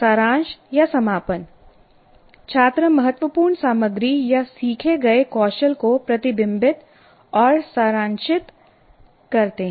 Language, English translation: Hindi, Summarizing or closure, students reflect on and summarize the important material or skills learned